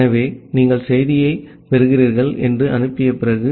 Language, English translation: Tamil, So, after you are sending that you are receiving the message